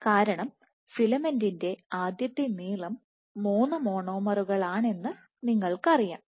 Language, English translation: Malayalam, So, you have you start with a filament of three monomers